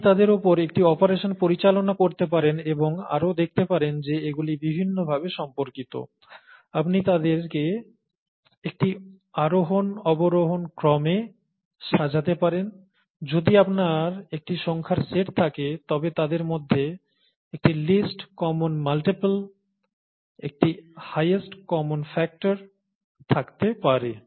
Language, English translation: Bengali, You can perform a set of operations on them, and, you can also see that they are related in different ways, you could order them in an ascending descending order, if you have a set of numbers, there could be a least common multiple among them, there could be a highest common factor among them and so on